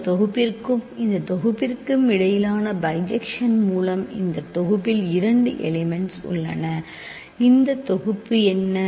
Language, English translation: Tamil, By the bijection between this set and this set this set has two elements right and what is this set